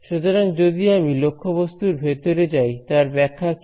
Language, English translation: Bengali, So, if I go inside the object what is the interpretation